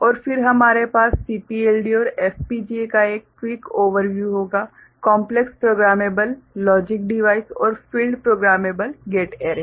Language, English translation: Hindi, And then we shall have a quick overview of CPLD and FPGA: Complex Programmable Logic Device and Field Programmable Gate Array